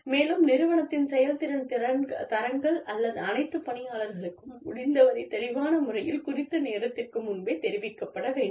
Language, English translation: Tamil, And, the performance standards of the organization, should be communicated to all employees, as far ahead of time, in as clear manner, as possible